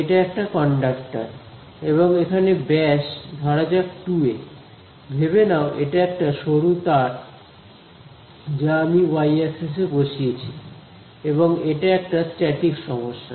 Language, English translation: Bengali, It is a conductor and diameter over here is say some 2 a, imagine is like a thin wire basically that I have placed along the y axis and it is a statics problem